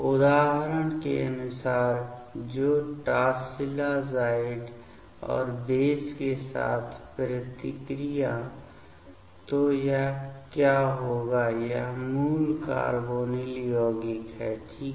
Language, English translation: Hindi, As per example; so reaction with tosylazide and base ok; so what will be the this is the parent carbonyl compound ok